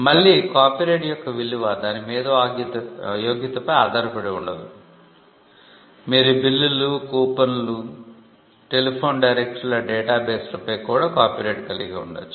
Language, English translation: Telugu, Again, the subject matter of copyright is not based on its intellectual merit; you can have a copyright on bills, coupons, telephone directories databases